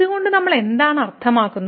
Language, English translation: Malayalam, What do we mean by this